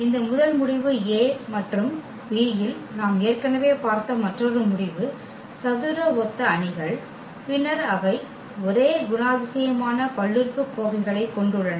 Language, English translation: Tamil, Another result which actually we have seen already in this first result A B are the square similar matrices, then they have the same characteristic polynomial